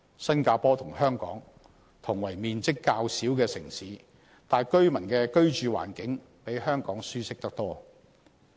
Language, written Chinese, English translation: Cantonese, 新加坡雖與香港同為面積較小的城市，但居民的居住環境比香港舒適得多。, While Singapore and Hong Kong are both small cities the living conditions in Singapore are much better than Hong Kong